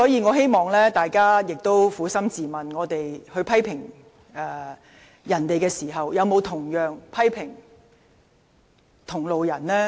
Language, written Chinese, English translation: Cantonese, 我希望大家撫心自問，在批評別人時，有沒有同樣批評同派系的人士？, I hope Members will ask themselves honestly When they are criticizing other people have they also criticized the fellow members of their camp?